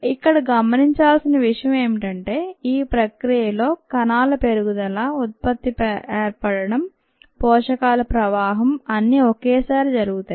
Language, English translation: Telugu, what is important to note here is that during this process there is growth of cells, the product formation and the flow of nutrients all happen simultaneously